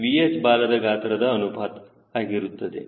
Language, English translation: Kannada, what is the tail volume ratio